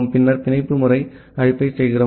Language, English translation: Tamil, Then we make the bind system call